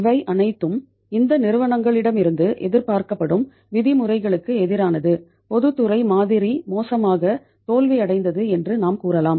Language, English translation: Tamil, That was all against the expected uh norms from these companies and we can say that public sector model has miserably failed